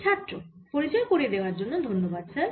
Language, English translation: Bengali, thanks, sir, for the introduction